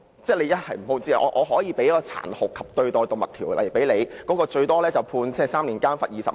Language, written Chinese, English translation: Cantonese, 根據《防止殘酷對待動物條例》，最高刑罰是監禁3年及罰款20萬元。, Under the Prevention of Cruelty to Animals Ordinance the maximum penalty is imprisonment for three years and a fine of 200,000